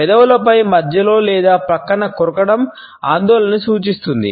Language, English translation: Telugu, Biting on the lips with their centrally or at the side indicates anxiety